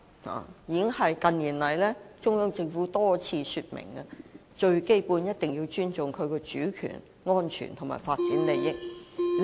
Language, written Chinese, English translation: Cantonese, 中央政府近年已多次說明，最基本一定要尊重國家的主權、安全和發展利益。, The Central Government has repeatedly stated in recent years that we must basically respect the countrys sovereignty security and development interests